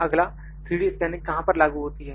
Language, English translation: Hindi, Next, where does 3D scanning apply